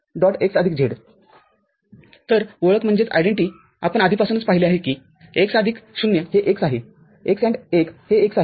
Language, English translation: Marathi, So, identity we have already seen x plus 0 is x, x AND 1 is x